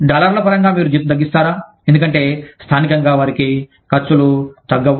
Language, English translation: Telugu, Do you reduce the salary, in terms of dollars, because their expenses locally, will not go down